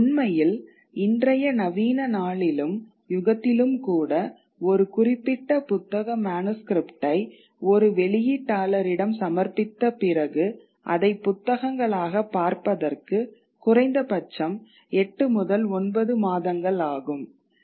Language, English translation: Tamil, In fact even in the modern day and age when a certain book manuscript is submitted to publisher it takes at least eight to nine months if not more for that book to see the light of day